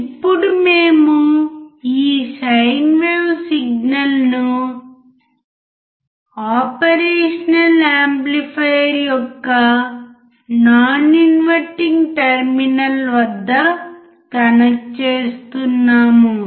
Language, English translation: Telugu, Now, we are connecting this sine wave signal at the non inverting non inverting terminal of the operational amplifier